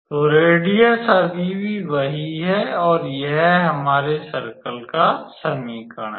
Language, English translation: Hindi, So, the radius would still remain same and this is the equation of our circle